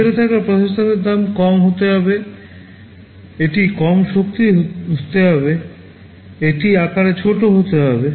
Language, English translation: Bengali, The processor that is inside has to be low cost it has to be low power, it has to be small in size